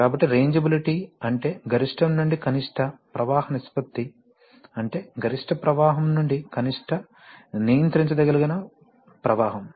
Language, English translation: Telugu, So, rangeability means that what is the maximum to minimum flow ratio, so the maximum flow to the minimum controllable flow easy to say